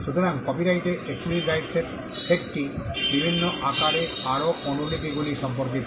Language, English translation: Bengali, So, the set of exclusive right in copyright pertain to making more copies in different forms